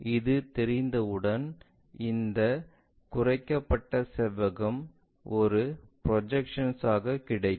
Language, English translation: Tamil, Once we know that we have this reduced rectangle as a projection